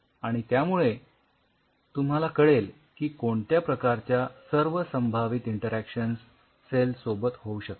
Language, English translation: Marathi, So, that will give you an idea that these are the possible interactions which can happen with the cell